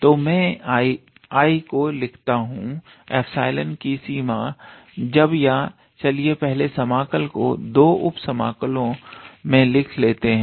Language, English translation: Hindi, So, I can write I as limit epsilon goes to or first let us write the integral into 2 sub integrals